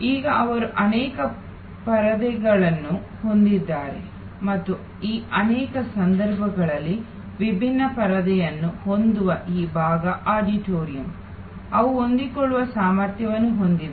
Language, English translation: Kannada, Now, they have multiple screens and in many of these cases these part auditorium with different screens, they have flexible capacity